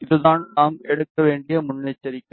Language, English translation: Tamil, This is the precaution we have to take